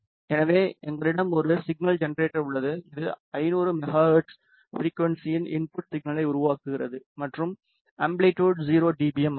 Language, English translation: Tamil, So, we have a signal generator which is generating a input signal of 500 megahertz frequency and the amplitude is 0 dBm